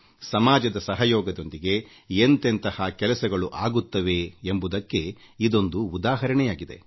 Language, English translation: Kannada, These are examples of how work can be achieved with the help of society